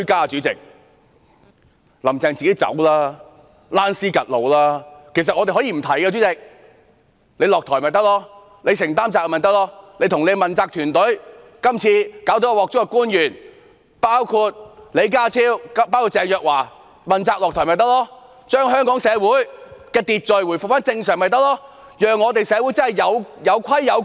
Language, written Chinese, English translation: Cantonese, 主席，其實我們可以不提出彈劾，只要她下台便可，只要她承擔責任便可，只要其問責團隊及今次搞出大麻煩的官員包括李家超和鄭若驊問責下台便可，只要將香港的社會秩序回復正常便可，有規有矩。, Get lost! . President we actually can drop the impeachment so long as she steps down and assumes the responsibility so long as her accountability team and the officials who caused the current big trouble including John LEE and Teresa CHENG step down to manifest political accountability and so long as Hong Kongs social order is brought back to normal with things running in an orderly fashion